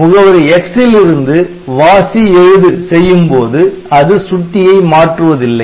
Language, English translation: Tamil, So, read write from address X and they do not change the pointer